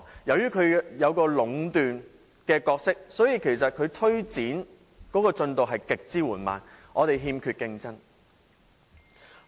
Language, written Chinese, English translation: Cantonese, 由於八達通有壟斷的情況，因此它推展的進度極為緩慢，因為欠缺競爭。, Since there is monopolization by the Octopus card the progress in its advancement has been extremely slow because there is no competition